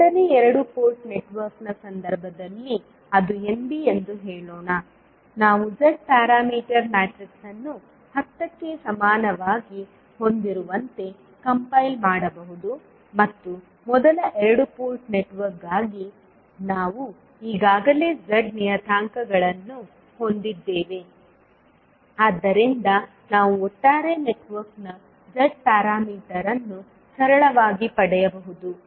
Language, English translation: Kannada, So in case of second two port network let us say it is Nb, we can compile the Z parameter matrix as having all the elements as equal to 10 and for the first two port network we already have the Z parameters in hand so we can simply get the Z parameter of the overall network